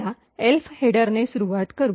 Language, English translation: Marathi, Let us start with the Elf header